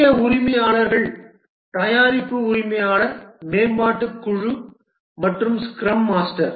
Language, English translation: Tamil, The key roles are the product owner development team and the scrum master